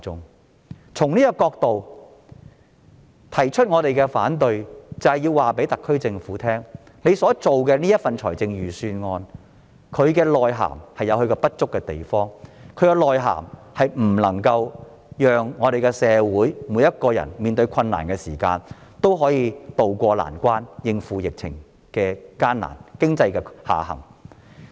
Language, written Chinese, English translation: Cantonese, 我們從這個角度提出反對，要告訴特區政府，他們所制訂的預算案有不足之處，不能讓社會上每一個人在面對困難時渡過難關，應付疫情下的困境及經濟下行的情況。, We raise opposition from this perspective trying to tell the SAR Government that the Budget is inadequate as it fails to assist every member of the community in overcoming difficulties and dealing with the plight arising from the epidemic and the economic downturn